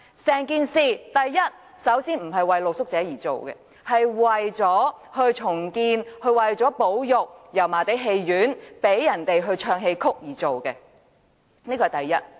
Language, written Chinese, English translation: Cantonese, 首先，整項工程本身並非為露宿者而設，而是為了重建和保育油麻地戲院，讓市民唱戲曲，此其一。, First of all the project itself was not for rehousing street sleepers; but for redeveloping and conserving the Yau Ma Tei Theatre to provide people with a venue to perform Chinese operas . That is the first point